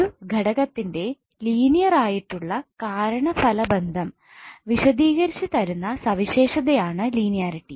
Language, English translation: Malayalam, Linearity is the property of an element describing a linear relationship between cause and effect